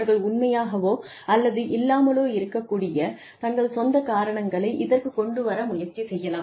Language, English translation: Tamil, And, they may try to come up with their own reasons, which may, or may not be true